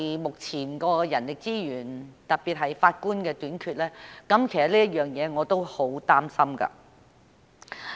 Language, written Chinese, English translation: Cantonese, 目前的人力資源，特別是法官的短缺，其實也令我很擔心。, The existing manpower shortage especially the shortage of Judges actually worries me a lot